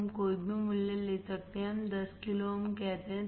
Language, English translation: Hindi, We can take any value; let us say 10 kilo ohms